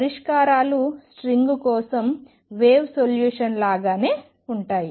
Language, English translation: Telugu, And the solutions exactly like the wave solution for a string